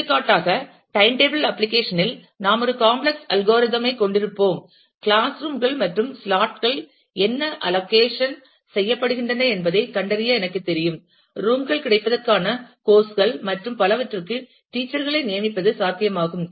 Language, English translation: Tamil, For example, in the time table application we will have a complex algorithm, I know to find out what allocation of class rooms and slots, are feasible for assignments of teachers to courses availability of rooms and so on